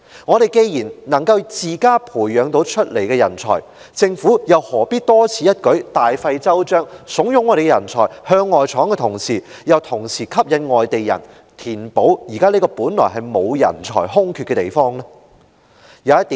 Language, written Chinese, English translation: Cantonese, 我們既然能自家培養人才，政府又何必多此一舉、大費周章，慫恿我們的人才向外闖，同時又吸引外地人來填補現時這個原本並無人才空缺的地方？, If we can nurture talents on our own why should the Government make such a fuss and go to all this trouble to encourage our talents to look for opportunities outside Hong Kong but at the same time attract foreigners to take up posts where there should be no lack of talents?